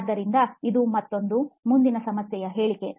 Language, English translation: Kannada, So that would be another, the next problem statement